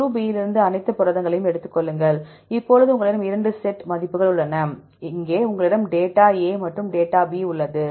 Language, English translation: Tamil, Then take all the proteins from group B get the composition, now you have 2 set of values for example, here you have the data one is A one is B